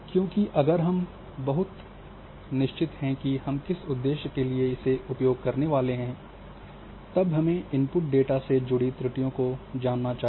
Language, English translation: Hindi, Because we do not know for what if we are very much sure that for what purpose we are going to use then we must know the errors associated with our input data